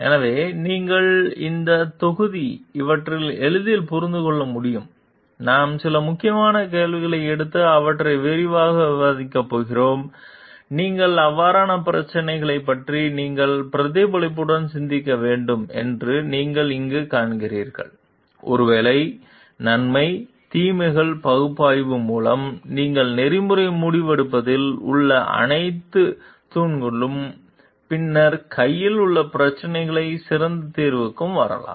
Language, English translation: Tamil, So, you understand like you can understand like this in this module, we are going to take up some critical questions and do a detailed discussions of those critical questions, where do you find that you have to reflectively think of the issues and go for the maybe pros and cons analysis through, all the pillars of like ethical decision making that you have and then come to a best possible solution for the problem at hand